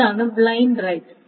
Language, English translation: Malayalam, So that's a blind right